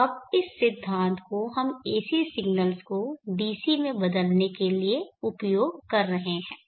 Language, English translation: Hindi, Now this is the concept that we would be using to convert AC signals to DC Consider the